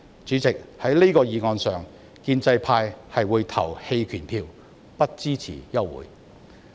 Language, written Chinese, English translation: Cantonese, 主席，就這項議案，建制派會投棄權票，不支持休會待續。, President regarding this motion the pro - establishment camp will abstain from voting and will not support the adjournment